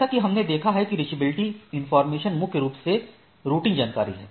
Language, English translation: Hindi, As we seen that reachability informations is primarily finding that more that is the routing information